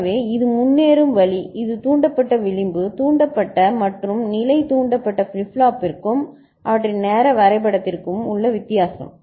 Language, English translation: Tamil, So, this is the way it progresses this is a difference between edge triggered and level triggered flip flop and their timing diagram